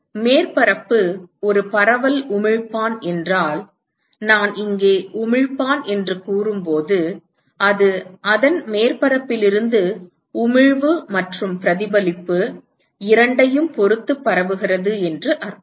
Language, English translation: Tamil, If the surface is a diffuse emitter, so when I say emitter here I mean it is diffused with respect to both the emission from its surface plus the reflection emission plus reflection all right